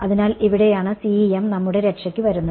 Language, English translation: Malayalam, So, this is where CEM comes to our rescue